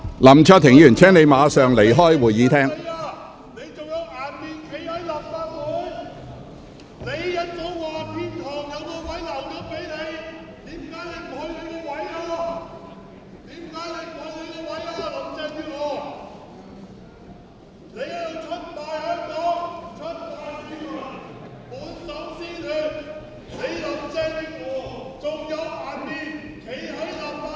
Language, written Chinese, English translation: Cantonese, 林卓廷議員，請你立即離開會議廳。, Mr LAM Cheuk - ting please leave the Chamber immediately